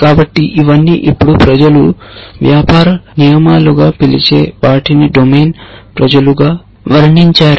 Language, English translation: Telugu, So, all these so called what which people now days call as business rules are described as a domain people